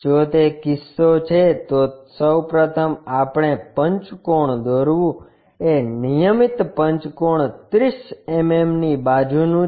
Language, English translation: Gujarati, If that is the case, first of all, we draw a pentagon is regular pentagon 30 mm side